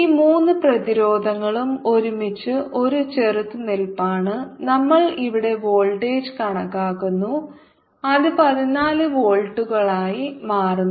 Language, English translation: Malayalam, all these three resistance to together to be one resistance and we have calculating a voltage here which comes out to be fourteen volts outside the field